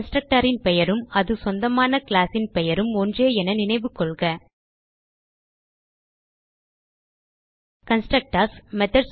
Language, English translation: Tamil, Remember the Constructor has the same name as the class name to which it belongs